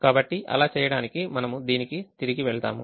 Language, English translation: Telugu, so to do that, we go back to this